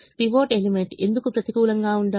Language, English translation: Telugu, why should the pivot element be negative